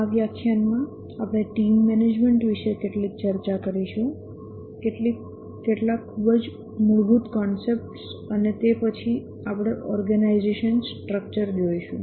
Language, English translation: Gujarati, In this lecture, in this lecture we will discuss about team management, some very basic concepts, and then we will look at the organization structure